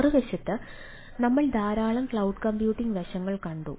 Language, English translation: Malayalam, on the other hand, we have seen a lot of a cloud computing ah aspects